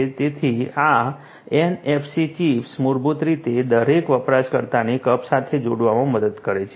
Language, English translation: Gujarati, So, this NFC chips basically helps in connecting each user to a cup